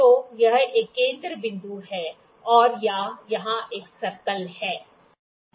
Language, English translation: Hindi, So, this is a centre point and this is a circle here